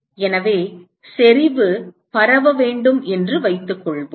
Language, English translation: Tamil, So, supposing if the intensity were to be diffuse